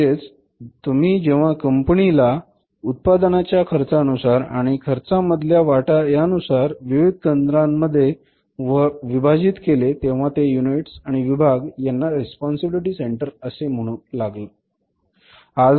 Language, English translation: Marathi, So, when you divided the whole firm according to the cost of the product and their contribution to the total cost of the product, so these different centers, these units of units and departments called as responsibility accounting